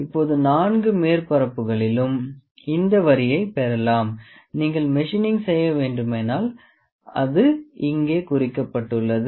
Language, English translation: Tamil, Now we have got this line around all the four surfaces and if you have to do any machining it is marked here